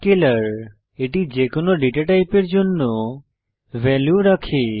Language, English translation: Bengali, It also holds value of any data type